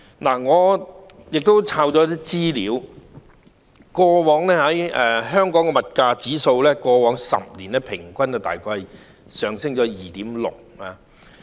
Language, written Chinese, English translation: Cantonese, 我亦搜尋到一些資料，過往10年，香港的物價指數平均每年大約上升 2.6%。, I have also found some information . Over the past decade the price index in Hong Kong was recorded a year - on - year increase of about 2.6 % on average